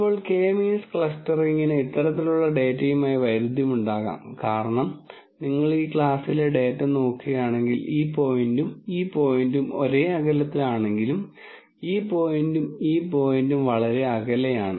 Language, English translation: Malayalam, Now, K means clustering can have di culty with this kind of data simply be cause if you look at data within this class, this point and this point are quite far though they are within the same class whereas, this point and this point might be closer than this point in this point